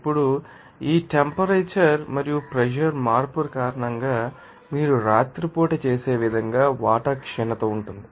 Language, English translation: Telugu, Now, because of this temperature and pressure change, there is a depletion of water as you do at night